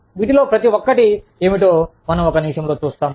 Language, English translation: Telugu, We will see in a minute, what each of these are